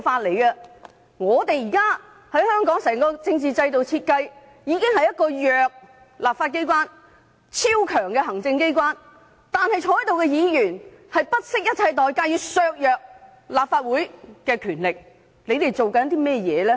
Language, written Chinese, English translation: Cantonese, 現時香港整個政治制度的設計，已是弱勢的立法機關對超強勢的行政機關，但在席議員仍不惜一切代價，要削弱立法會的權力，他們究竟在做甚麼？, The current design of the entire political system in Hong Kong has already provided for a weak legislature to accommodate our overwhelmingly strong executive authorities but Members present here still wish to undermine the powers of the Legislative Council at all costs and what exactly are they trying to do?